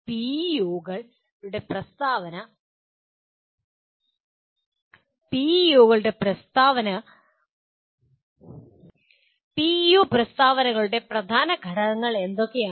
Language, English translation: Malayalam, What are the key elements of PEO statements